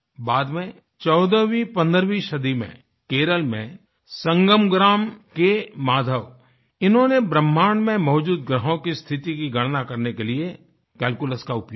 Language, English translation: Hindi, Later, in the fourteenth or fifteenth century, Maadhav of Sangam village in Kerala, used calculus to calculate the position of planets in the universe